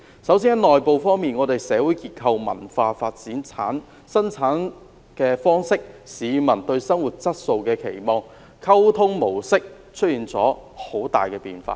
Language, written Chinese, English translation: Cantonese, 首先在內部方面，本港的社會結構、文化發展、生產方式、市民對生活質素的期望、溝通模式均出現了很大變化。, First internally speaking Hong Kong has experienced substantial changes in its social structure cultural development modes of production peoples expectations towards their quality of life and the modes of communication